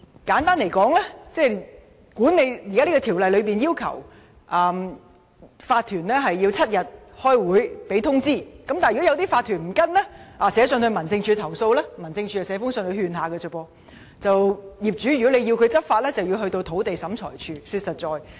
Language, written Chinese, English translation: Cantonese, 簡單而言，現行《條例》要求法團給予7天的開會通知期，但如果法團不遵從這項要求，寫信到民政事務總署投訴，該署也只能發信勸諭，如果業主要求執法，便要到土地審裁處。, Simply put BMO requires OCs to give notices of meeting seven days in advance . However if OCs do not comply with this requirement and complaint letters are sent to the Home Affairs Department HAD the only action that can be taken is to issue warning letters . In fact owners can only make requests for law enforcement to the Lands Tribunal